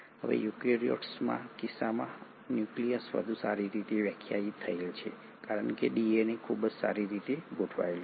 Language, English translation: Gujarati, Now the nucleus in case of eukaryotes is much more well defined because the DNA is very well organised